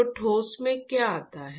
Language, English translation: Hindi, So, what comes into the solid